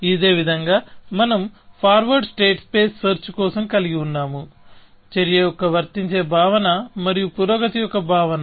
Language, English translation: Telugu, In the similar manner, we had for forward state space search; the notion of an applicability of an action and the notion of progress